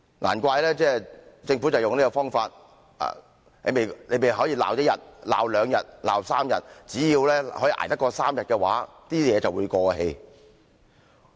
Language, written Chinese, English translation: Cantonese, 難怪政府用這種方法，你們儘管去罵一些人，罵兩天、3天，只要捱過3天的話，事情便會過氣。, No wonder the Government adopts such a tactic on almost everything . So you people can just keep on criticizing them but after a few days as long as the Government can bear the backlash for three days the problem will be over